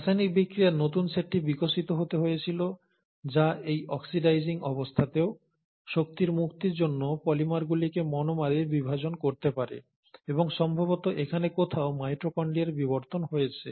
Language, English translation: Bengali, So the new set of chemical reactions had to evolve which under these conditions, oxidizing conditions could still breakdown polymers into monomers for release of energy, and that is somewhere here probably, that the evolution of mitochondria would have happened